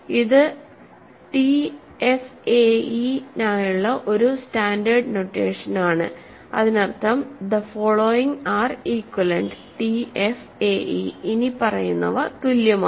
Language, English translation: Malayalam, So, this is a standard notation for TFAE, it means the following are equivalent, TFAE the following are equivalent